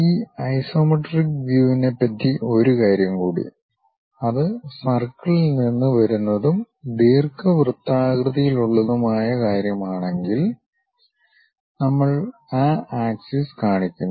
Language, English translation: Malayalam, One more thing for these isometric views, if it is something like coming from circle and ellipse kind of thing we show those axis